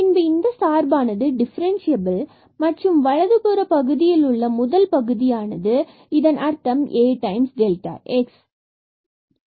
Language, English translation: Tamil, Then we call that this function is differentiable and the first term on this right hand side; that means, this A times delta x